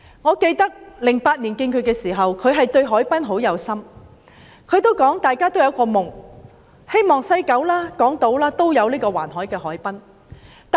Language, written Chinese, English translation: Cantonese, 我記得在2008年與她會面時，她對海濱發展很有心，她還說大家也有一個夢，就是西九、港島也有一個環海的海濱。, I recall that when I met with her in 2008 she expressed enthusiasm in harbourfront development and said we had the dream of developing a promenade along the harbourfront in West Kowloon and Hong Kong